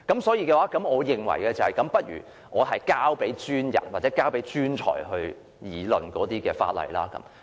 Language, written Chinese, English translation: Cantonese, 所以，我認為倒不如把這項法例交給專人或專才去議論吧。, Therefore in my view we had better refer this piece of legislation to the professionals or experts for deliberation